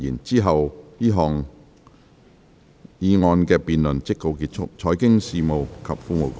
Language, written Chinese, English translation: Cantonese, 之後這項議案的辯論即告結束。, Then the debate on this motion will come to a close